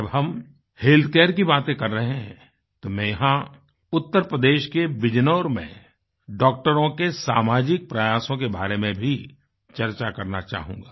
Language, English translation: Hindi, Since we are referring to healthcare, I would like to mention the social endeavour of doctors in Bijnor, Uttar Pradesh